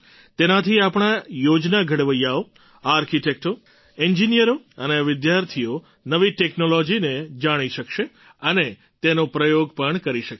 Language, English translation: Gujarati, Through this our planners, Architects, Engineers and students will know of new technology and experiment with them too